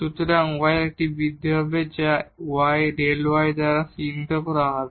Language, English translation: Bengali, So, there will be an increment in y that is denoted by delta y